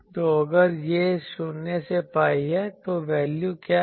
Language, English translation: Hindi, So, if it is 0 to pi, then what is the value